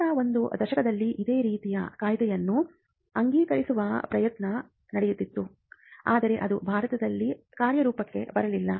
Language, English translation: Kannada, There was an attempt to pass a similar Act in the last decade, but that did not materialize in India